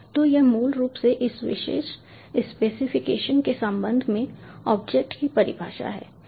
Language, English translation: Hindi, so this is basically the definition of the object with respect to this particular specification